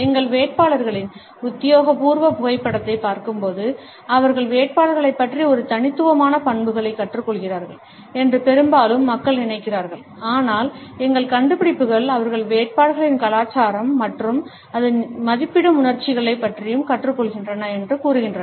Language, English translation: Tamil, Often people think that when they are viewing our candidates official photo, they are learning about the candidates a unique traits, but our findings suggest that they are also learning about the candidates culture and the emotions it values